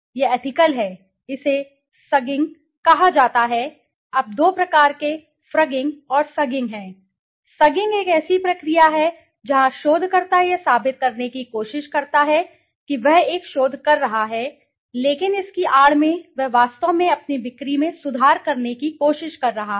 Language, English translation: Hindi, It is un ethical, it is called sugging, now there are two types of frugging and sugging, sugging is a process where the researcher tries to prove that he is conducting a research but in the guise he is actually trying to improve his sales